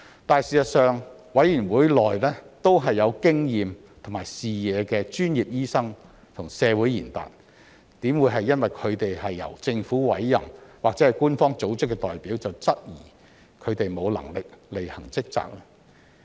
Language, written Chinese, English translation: Cantonese, 但是，事實上，委員會內都是有經驗和視野的專業醫生和社會賢達，怎會因為他們是由政府委任或是官方組織的代表，便質疑他們沒能力履行職責？, But in fact SRC will be comprised of experienced and visionary professional doctors and community leaders how can we question their competence to perform their duties just because they are appointed by the Government or are representatives of public organizations?